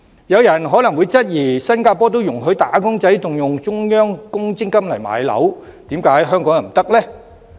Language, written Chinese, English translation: Cantonese, 有人可能會質疑，既然新加坡也容許"打工仔"動用中央公積金置業，為何香港人不可以？, As wage earners in Singapore are allowed to use their Central Provident Fund savings to acquire properties someone may query why are people in Hong Kong not allowed to do so?